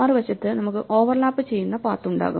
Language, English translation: Malayalam, On the other hand we could have paths which overlap